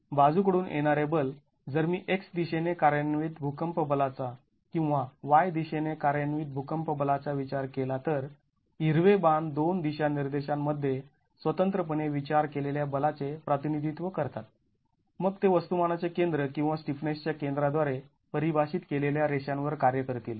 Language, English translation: Marathi, The lateral forces, if I were to consider earthquake force acting in the X direction or earthquake force acting in the Y direction, the green arrows represent the force considered in the two directions separately then they would be acting along the lines defined by the center of mass of the stiffness